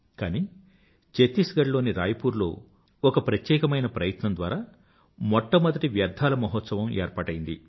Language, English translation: Telugu, But in a unique endeavor in Raipur, Chhattisgarh, the state's first 'Trash Mahotsav' was organized